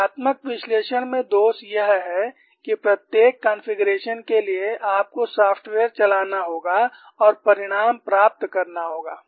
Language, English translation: Hindi, The defect in numerical analysis, for each configuration, you have to run the software and get the result